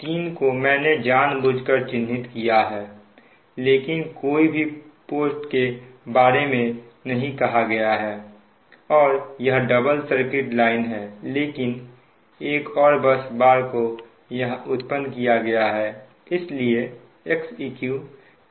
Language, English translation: Hindi, actually i have marked intentionally, but no fault, nothing is created, it's a double circuit line, but one more bus bar is created here